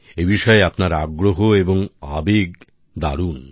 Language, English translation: Bengali, Your passion and interest towards it is great